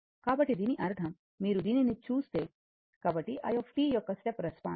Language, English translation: Telugu, So that means, if you see this, so the step response of i t and this thing